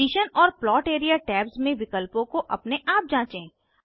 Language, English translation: Hindi, Explore the options in Position and Plot area tabs on your own